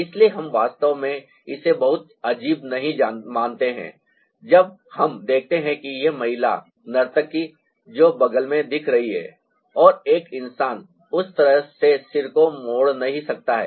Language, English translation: Hindi, so we do not really find it very ah odd when we see that this lady, the dancer who is looking sideways and ah a human being, cannot twist the head that way